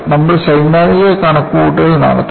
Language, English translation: Malayalam, And, we would do theoretical calculation